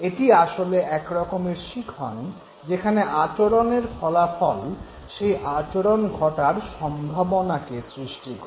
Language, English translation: Bengali, It is basically a form of learning in which the consequence of the behavior produces the changes in the probability of occurrence of that very behavior